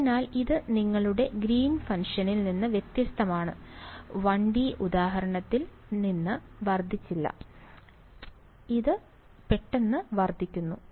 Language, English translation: Malayalam, So, this is unlike your Green’s function from the 1 D example which did not blow up, this guys blowing up